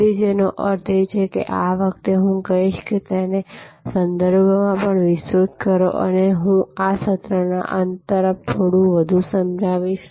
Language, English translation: Gujarati, So, which means this time and I would say expand it also to the contexts and I will explain this a little bit more toward the end of this session